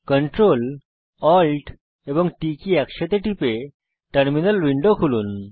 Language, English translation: Bengali, Open the terminal window by pressing Ctrl, Alt and T keys simultaneously